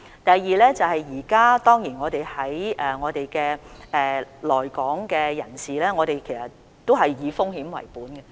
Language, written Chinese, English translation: Cantonese, 第二，現時我們對來港人士的處理都是以風險為本。, Second we have all along followed a risk - based approach in handling people arriving in Hong Kong